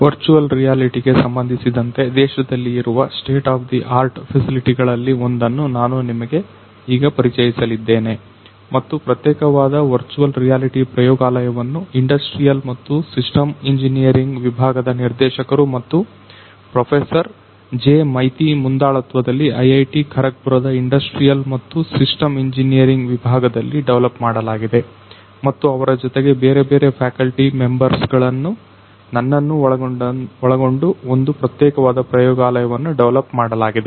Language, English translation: Kannada, I am now going to take you through one of the state of the art facilities in Virtual Reality in the country and there this particular lab the virtual reality lab was developed in the department of industrial and systems engineering at IIT Kharagpur, under the primary leadership of Director and Professor J Maiti of the industrial and systems engineering department and along with him there were different other faculty members including myself together we have developed this particular lab